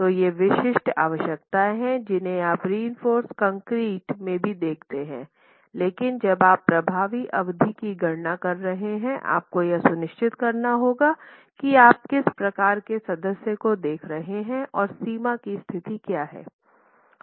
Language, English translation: Hindi, So these are typical requirements which you see even in reinforced concrete but when you are making an effective span calculations you have to be sure about what type of member you are looking at and what the boundary conditions are